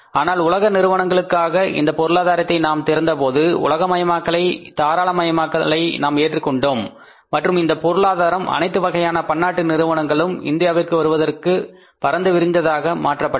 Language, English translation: Tamil, But when we opened up this economy for the world conglomerates, we accepted the globalization liberalization and this economy was made wide open for any multinational company coming to India